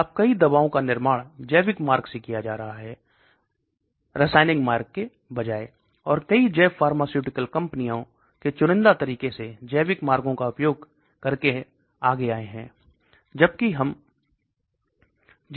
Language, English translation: Hindi, Now many drugs are being manufactured using biological route rather than chemical route, and so many bio pharmaceutical companies have come selectively using biological routes